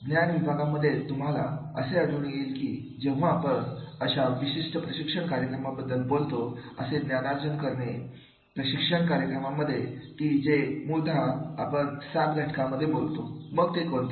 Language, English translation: Marathi, In knowledge areas you will find that whenever we talk about these particular training programs, these training programs in the knowledge that is basically we talk about the seven factors here